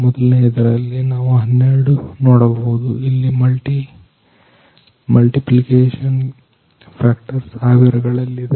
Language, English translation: Kannada, In first one we can see 12 where the multiplication factors is thousands